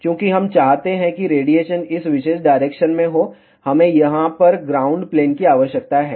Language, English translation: Hindi, Since, we want the radiation to be in this particular direction, we need to have a ground plane over here